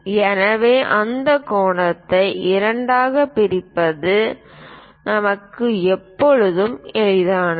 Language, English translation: Tamil, So, it is always easy for us to bisect that angle